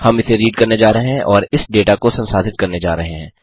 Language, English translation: Hindi, We are going to read it and process this data